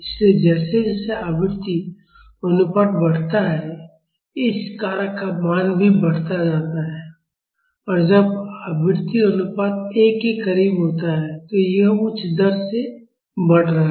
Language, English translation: Hindi, So, as the frequency ratio increases, the value of this factor is also increasing; and when the frequency ratio is near 1, this is increasing at higher rate